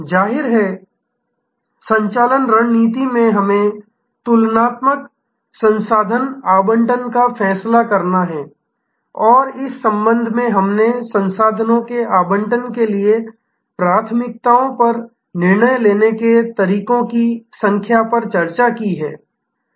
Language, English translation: Hindi, Obviously, in operating strategy we have to decide the comparative resource allocation and in this respect, we had discussed number of ways we can decide upon the priorities for resource allocation